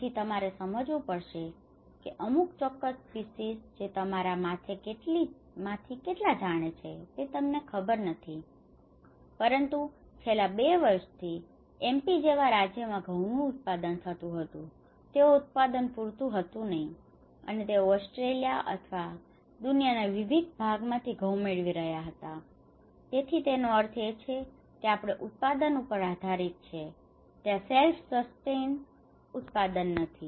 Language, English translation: Gujarati, So, now you have to understand that certain species now I do not know how many of you know but in the last 2 years even a state like MP which is producing the wheat, the production was not sufficient, and they were getting the wheat from Australia or in different parts of the world so which means, we are depending on the production, there is not a self sustained production